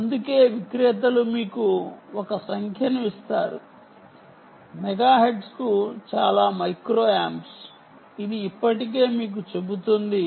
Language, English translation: Telugu, thats why vendors will give you a number: so many micro amps per megahertz